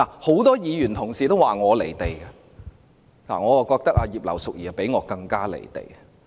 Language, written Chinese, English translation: Cantonese, 很多議員同事說我"離地"，但我認為葉劉淑儀議員比我更加"離地"。, Many Honourable colleagues describe me as being out of touch with reality but I think Mrs Regina IP is more so than I am